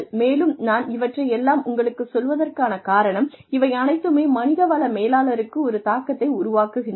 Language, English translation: Tamil, And, I am telling you all this, because these things, have an implication for a human resources managers